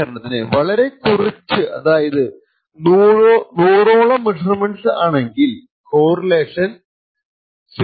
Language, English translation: Malayalam, So, for example if we have very less let us say around 100 or so measurements, we have a correlation which is less than 0